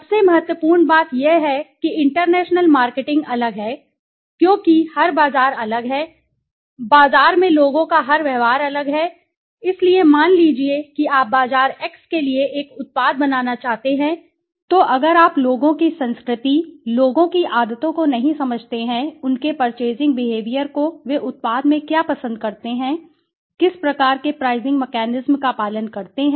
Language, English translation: Hindi, The most important thing is that international marketing is different because every market is different right every behavior of people in the market is different right, so suppose you want to make a product for a market x then if you do not understand the culture of people, the habits of the people, their purchasing behavior what do they like in the product, how what kind of pricing mechanism they follow